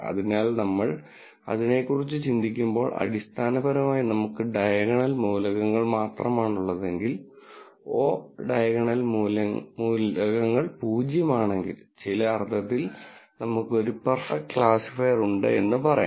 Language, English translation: Malayalam, So, when we think about this this way, then basically if we have only the diagonal elements and the o diagonal elements are zero then, we have a perfect classifier in some sense